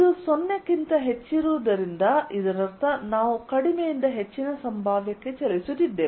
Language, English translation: Kannada, since this is greater than zero, this means we are moving from lower to higher potential